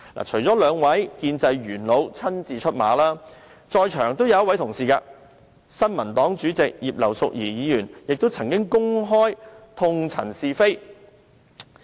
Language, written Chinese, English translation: Cantonese, 除了兩位建制派元老親自出馬，在座的新民黨主席葉劉淑儀議員亦曾經公開痛陳是非。, Apart from the criticisms made by those two veteran politicians personally Mrs Regina IP Chairperson of the New Peoples Party NPP who is in the Chamber now has also directed some frank criticisms publicly